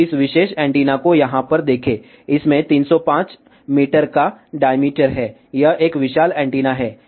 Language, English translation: Hindi, So, just look at this particular antenna over here, it has a diameter of 305 meter, it is a huge huge antenna